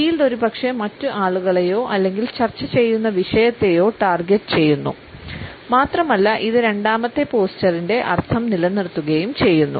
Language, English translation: Malayalam, The shield maybe targeting the other people or the topic which is under discussion and it also retains the connotations of the second posture